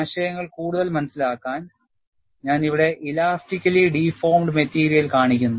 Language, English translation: Malayalam, And just to understand the concepts further, I show the elastically deformed material here